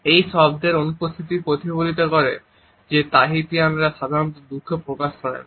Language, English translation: Bengali, This absence of a word reflects that Tahitians do not typically express sadness